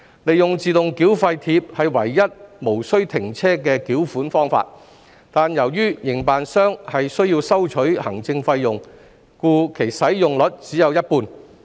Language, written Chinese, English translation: Cantonese, 利用自動繳費貼是唯一無須停車的繳款方法，但由於營辦商需收取行政費用，故其使用率只有一半。, Autotoll tags provide the only way by which vehicles are not required to stop for toll payment but their utilization rate only stands at 50 % as the operator charges an administrative fee